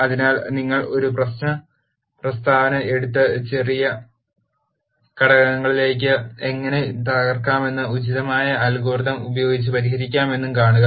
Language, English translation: Malayalam, So, you take a problem statement and then see how you can break it down into smaller components and solve using an appropriate algorithm